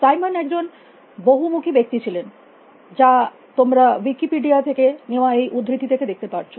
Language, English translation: Bengali, A Simon was a multi faceted person as you can see, from this court from Wikipedia